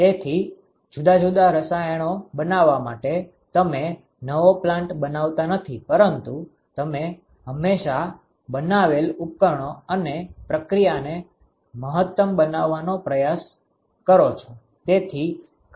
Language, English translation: Gujarati, So, in order to manufacture different chemicals you do not construct a new plant you always attempt to maximize the equipments and the process that you have built